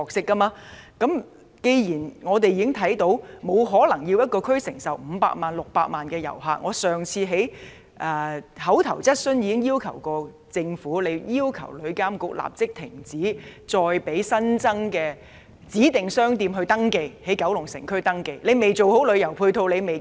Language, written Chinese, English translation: Cantonese, 既然我們不可能要求一個地區承受五六百萬人次的旅客，我上次提出口頭質詢時也提到，政府必須要求旅議會立即停止接受新增指定商店在九龍城區營業的登記。, Since it is impossible for us to require one district to receive 5 to 6 million visitors as I said when I raised my oral question last time the Government must require TIC to immediately stop accepting any application for operating additional designated shops in the Kowloon City District